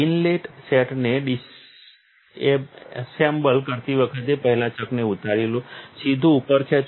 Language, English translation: Gujarati, When disassembling the inlet set first take off the chuck, pull straight up